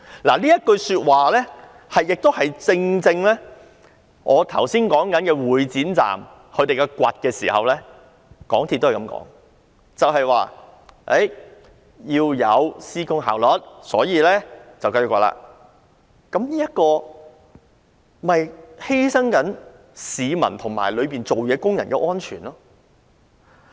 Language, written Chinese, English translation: Cantonese, 這正正便是與我剛才提及會展站繼續進行挖掘工程一事當中，港鐵公司的說法同出一轍，就是指要有施工效率，所以要繼續挖掘，但這不是犧牲了市民和在地盤工作的工人的安全嗎？, This claim is exactly the same as that made by MTRCL in the incident of continued excavation works at the Exhibition Centre Station mentioned by me just now that is it was necessary to have construction efficiency so the excavation had to continue but was this not achieved at the expense of the safety of the public and workers on the construction site?